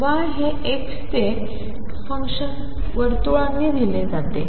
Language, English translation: Marathi, Y is a function of x is given by the circles